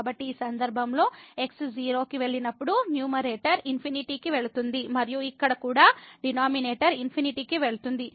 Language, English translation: Telugu, So, in this case when goes to 0 the numerator goes to infinity and also here the denominator goes to infinity